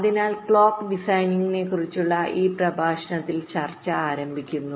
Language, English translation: Malayalam, ok, so we start our discussion in this lecture about clock design